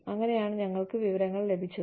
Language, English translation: Malayalam, And then, they can get out the information